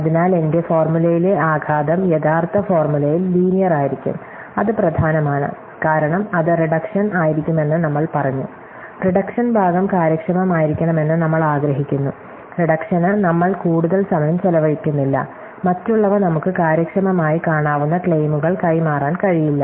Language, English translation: Malayalam, So, the blow up in my formula is going to be linear in the original formula, that is important, because we said that will be do reductions, we want the reduction part to be efficient to say that, we are not spending so much time of the reduction, other we cannot transfer efficient see claims at those